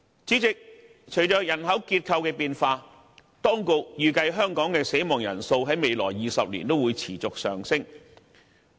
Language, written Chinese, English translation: Cantonese, 主席，隨着人口結構的變化，當局預計香港的死亡人數在未來20年將會持續上升。, President as our demographic structure changes the authorities have predicted a continuous increase in the number of deceased persons in Hong Kong in the next 20 years